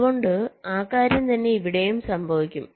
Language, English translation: Malayalam, so same thing will happen here also